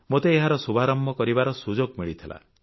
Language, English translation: Odia, I had the opportunity to inaugurate it